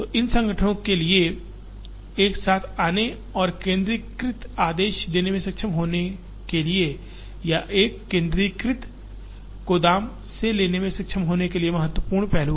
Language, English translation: Hindi, The important aspect is, for these organizations to come together and to be able to do centralized ordering or to be able to take from a centralized warehouse